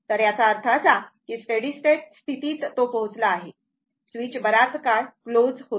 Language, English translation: Marathi, So, that means, at steady state it is reached , switch was closed for long time